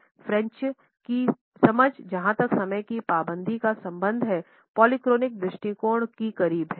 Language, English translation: Hindi, The understanding of the French, as far as the punctuality is concerned, is also closer to a polychronic attitude